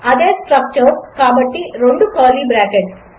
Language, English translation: Telugu, The same structure so two curly brackets